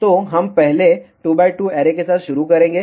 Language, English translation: Hindi, So, we will start with the 2 by 2 Array first